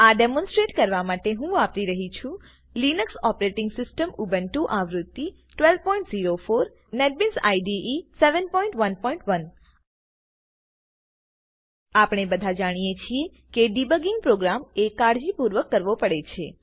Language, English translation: Gujarati, For this demonstration, I am using the Linux Operating System Ubuntu v12.04, and Netbeans IDE v7.1.1 We all know that debugging programs can be a rather painstaking task